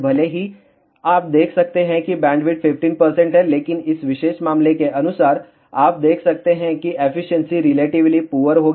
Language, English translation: Hindi, Even though you can see here bandwidth is 15 percent, but corresponding to this particular case, you can see efficiency will be relatively poor